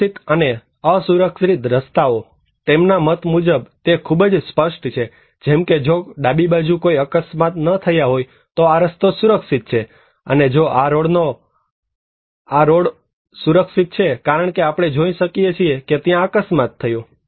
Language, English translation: Gujarati, Safe and unsafe road; according to them is very clear like, if there is no accident left hand side then this road is safe, and if this road is unsafe, because we can see that there is an accident okay